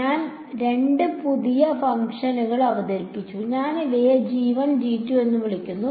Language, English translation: Malayalam, I have introduced two new functions I am calling them g1 g2